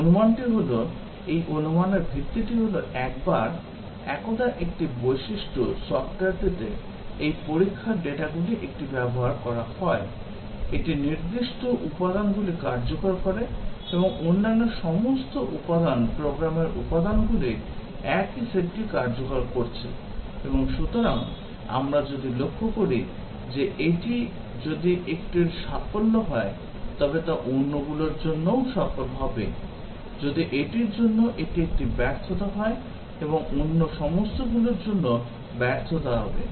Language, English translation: Bengali, The assumption is, the basis for this assumption is that, once one feature, the software is exercised with one of this test data, it executes certain elements; and all other elements are executing the same set of program elements; and therefore, we will observe if it is success for one, then it will be also success for all other; if it is a failure for this and there will be failure for all other